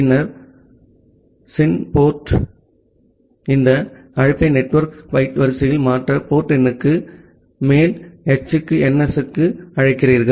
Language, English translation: Tamil, And then in the sin port you make this call to h to ns over the port number to convert it to the network byte order